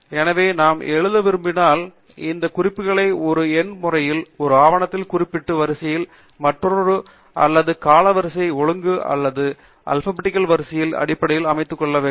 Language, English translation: Tamil, So, when we want to then write up, we need to basically organize these references in a numerical manner, one after other in the sequence of referencing the document, or maybe chronological order or alphabetical order